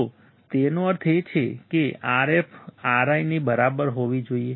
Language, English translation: Gujarati, So; that means, that Rf should be equals to Ri